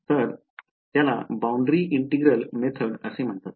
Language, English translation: Marathi, So, this is would be called the boundary integral method ok